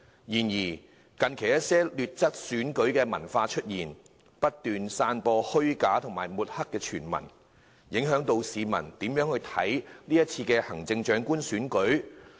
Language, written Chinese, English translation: Cantonese, 然而，近期出現了一些劣質選舉文化，不斷散播虛假傳聞，企圖抹黑某些候選人，影響市民對是次行政長官選舉的看法。, However recently some vile electoral culture has arisen in which false news has been spreading incessantly in an attempt to smear certain candidates and influence the publics views on the Chief Executive Election